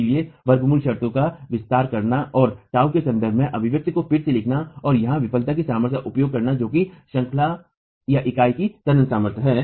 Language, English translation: Hindi, So, expanding the under root terms and rewriting the expression in terms of tau and making use of the failure strength here which is the tensile strength of the unit itself